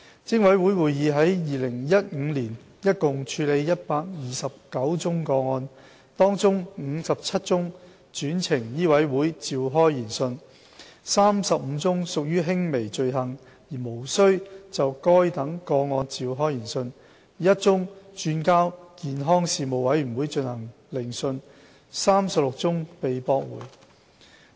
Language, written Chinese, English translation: Cantonese, 偵委會會議於2015年共處理129宗個案，當中57宗轉呈醫委會召開研訊、35宗屬輕微罪行而無須就該等個案召開研訊、1宗轉交健康事務委員會進行聆訊及36宗被駁回。, A total of 129 cases were handled at PIC meetings in 2015 of which 57 cases were referred to MCHK for inquiry 35 considered minor offences with no need for inquiry one referred to the Health Committee for hearing and 36 cases dismissed